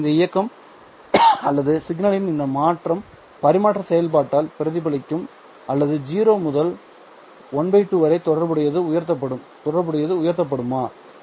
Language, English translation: Tamil, But this movement or this change of signal will be reflected by the transfer function going or rising from 0 to the corresponding half